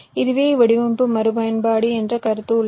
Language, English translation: Tamil, there is a concept of design reuse